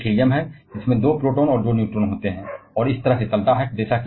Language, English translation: Hindi, The next one is Helium which contains 2 which contains protons and 2 neurons, and that goes on this way